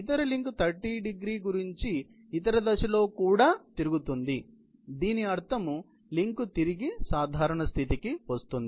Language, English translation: Telugu, The other link also rotates in the other direction about 30º, which meaning thereby, the link comes back to the normal position